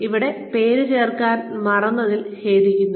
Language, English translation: Malayalam, I am sorry I forgot to add the name down here